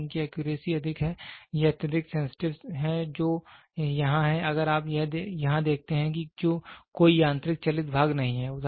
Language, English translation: Hindi, So, it is accuracy is high, it is highly sensitive the; so, here there is if you see here there is no mechanical moving parts